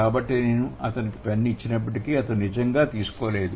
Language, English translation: Telugu, So, although I offered him a pen, he didn't really take it